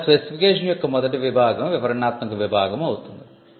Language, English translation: Telugu, Now, the first section of the specification will be a descriptive section